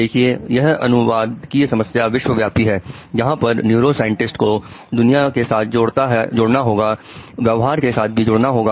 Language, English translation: Hindi, See this is the translational problem in the world where neuroscience has to unite with the behavior